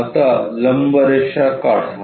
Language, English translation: Marathi, Now draw a perpendicular line